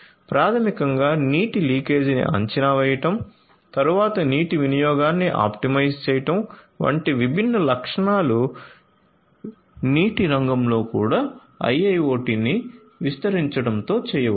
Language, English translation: Telugu, So, basically you know different different features such as prediction of water leakage, then optimization of water usage, all of these things could be done with the deployment of IIoT in the water sector as well